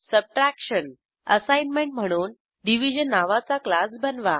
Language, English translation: Marathi, Subtraction As an assignment, Create a class named Division